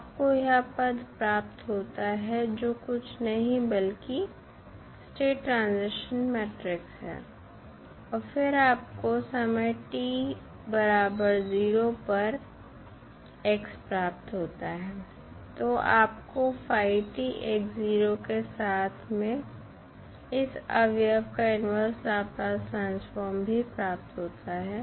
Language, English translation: Hindi, You get this term nothing but the state transition matrix and then you get x at time t is equal to 0, so you get phi t x0 plus the inverse Laplace transform of this component